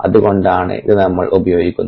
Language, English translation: Malayalam, so that is what we are using